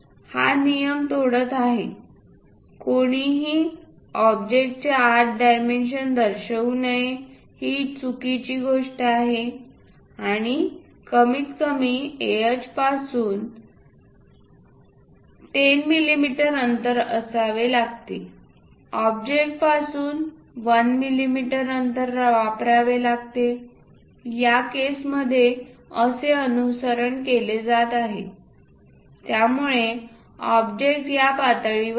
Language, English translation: Marathi, The rule it is breaking, one should not show dimensions inside of that object that is a wrong thing and minimum 1 millimeter gap from the ah 10 millimeter gap one has to use from the object, in this case these are followed because object is in this level